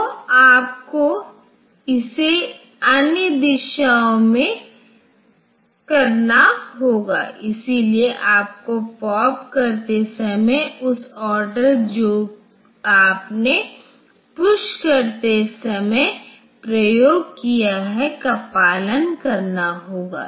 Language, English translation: Hindi, So, you have to do it in the other directions of, so you have to follow the order in which you have pushed it while popping